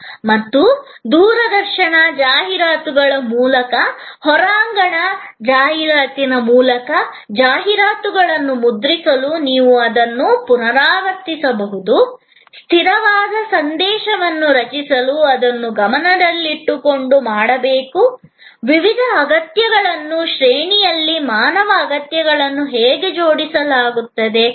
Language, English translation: Kannada, And you can repeat that through television ads, through outdoor advertising, to print ads; create a consistent message this is to be done keeping in mind, the various needs how the human needs are arranged in a hierarchy